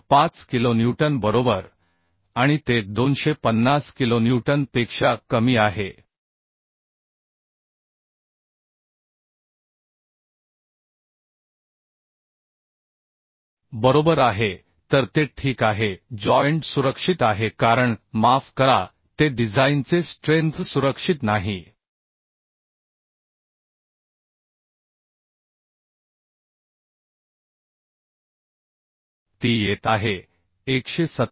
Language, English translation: Marathi, 5 kilonewton right and it is less than 250 kilonewton right So it is ok joint is safe because it is sorry it is not safe the design strength is coming 187